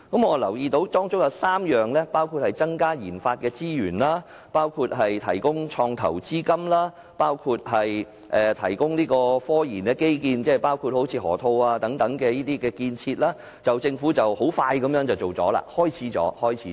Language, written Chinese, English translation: Cantonese, 我留意到當中提到增加研發資源、提供創投資金及提供科研基建，例如河套地區的建設，政府很快便已展開這3方面的工作。, I notice that for proposals such as increasing resources for RD providing investment funding and technological research infrastructure such as infrastructure of the Loop the Government has already embarked on measures of these three areas right away